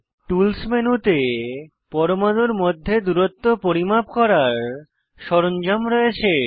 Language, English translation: Bengali, Tools menu has tools to measure distances between atoms, apart from other options